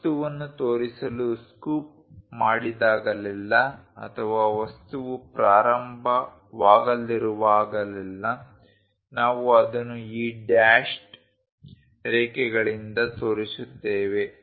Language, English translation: Kannada, Whenever, material has been scooped out to show that or whenever there is a material is about to begin, we show it by these dashed lines